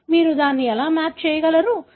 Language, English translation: Telugu, So, this is how you are able to map it